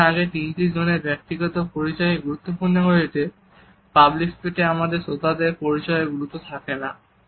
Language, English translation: Bengali, Whereas in the previous three zones the individual identity becomes important, in the public space, the identity of the audience does not remain important for us